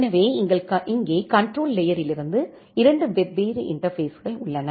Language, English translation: Tamil, So here, you have 2 different interfaces from the control layer